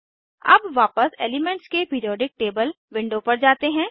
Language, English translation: Hindi, Lets go back to the Periodic table of the elements window